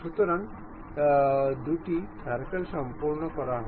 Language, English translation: Bengali, So, two circles are done